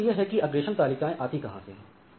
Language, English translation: Hindi, Now, where do the forwarding tables come from